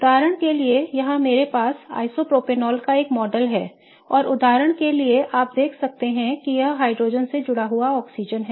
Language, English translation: Hindi, For example here I have a model of isopropanol and you can see that this is the oxygen for example attached to the hydrogen and this oxygen is attached to the central carbon